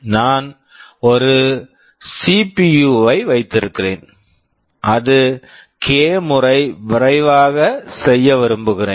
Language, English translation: Tamil, Suppose, I have a CPU and I want to make it k times faster